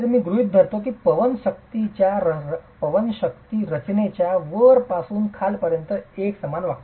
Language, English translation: Marathi, I assume that the wind forces are acting uniformly from the top to the bottom of the structure